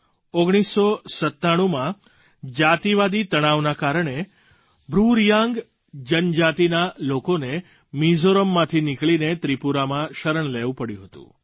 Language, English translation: Gujarati, In 1997, ethnic tension forced the BruReang tribe to leave Mizoram and take refuge in Tripura